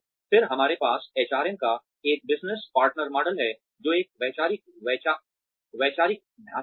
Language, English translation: Hindi, Then, we have a business partner model of HRM, which is a conceptual framework